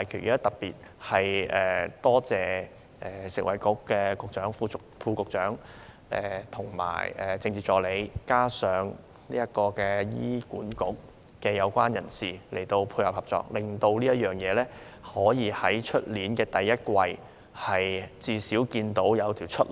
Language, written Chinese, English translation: Cantonese, 我要特別感謝食物及衞生局局長、副局長及政治助理，以及醫院管理局有關人士的配合及合作，令事情可以在明年第一季，最少看到一條出路。, I would like to thank in particular the Secretary for Food and Health the Deputy Secretary and the Political Assistant and the relevant staff of the Hospital Authority for their coordination and cooperation . This will pave at least one way out in the first quarter of next year